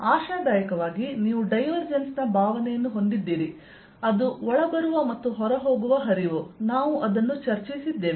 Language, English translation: Kannada, hopefully by now you do have a feeling of divergence, diverging, feel flux coming in, going out, that we have discussed